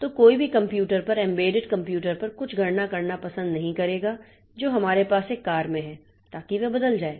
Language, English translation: Hindi, So, nobody will like to do some computation on the embedded computer that we have in a car